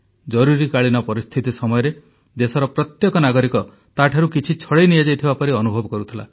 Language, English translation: Odia, During Emergency, every citizen of the country had started getting the feeling that something that belonged to him had been snatched away